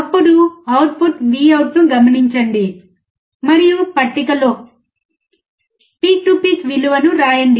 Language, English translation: Telugu, Then observe the output Vout and note down peak to peak value in the table